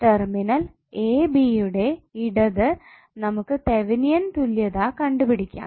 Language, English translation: Malayalam, We need to find out Thevenin equivalent to the left of terminal a b